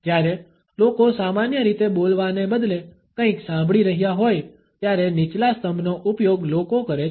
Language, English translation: Gujarati, The lowered steeple is used by people when normally they are listening to something instead of speaking